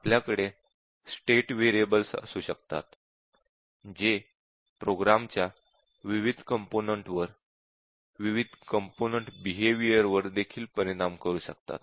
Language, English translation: Marathi, We might have other state variables, which might also affect different components of the program, their behaviour of the different components